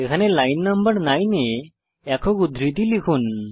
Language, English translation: Bengali, Type single quotes at line no.9 here